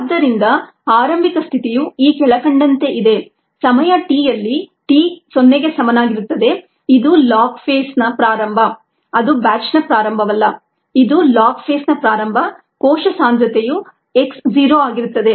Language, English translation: Kannada, so the initial condition is as follows: at time t equals t zero, which is the beginning of the log phase, is not the beginning of the batch, it is the beginning of the log phase